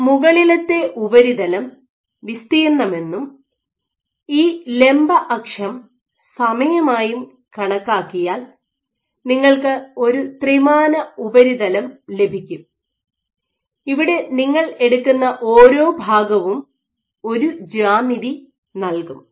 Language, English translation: Malayalam, So, let us say this top surface is the area and this vertical axis is my time you would get a 3D, surface where every section that you take every section that you take will give you a given geometry